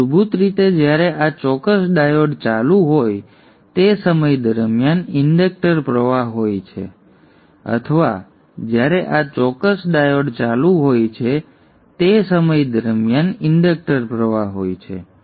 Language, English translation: Gujarati, So these two currents are actually the ones that are flowing through the inductor, they are basically the inductor current during the time when this particular diode is on or the inductor current during the time when this particular diode is on